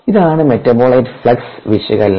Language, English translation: Malayalam, so the metabolite flux analysis